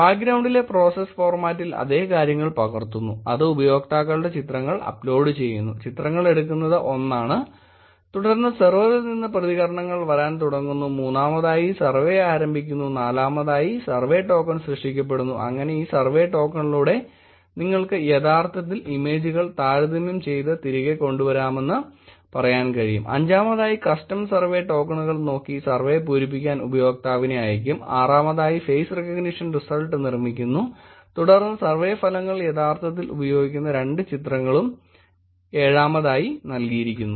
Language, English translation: Malayalam, Same thing is captured here in the process format in the background, which is upload pictures of the users, pictures are taken which is 1 and then responses coming from the server, start survey which is 3 and then 4 is generated survey token, so that through this survey token you will actually be able to say that comparing the images and bringing it back, which is 5 is looking at custom survey tokens send to the user who can actually fill the survey